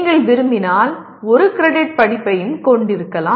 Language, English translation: Tamil, You can also have 1 credit course if you want